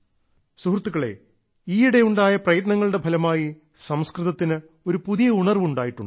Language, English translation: Malayalam, the efforts which have been made in recent times have brought a new awareness about Sanskrit